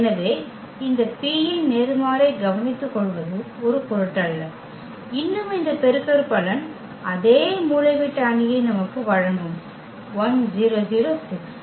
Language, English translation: Tamil, So, does not matter that will be taken care by this P inverse and still this product will give us the same diagonal matrix 1 0 0 6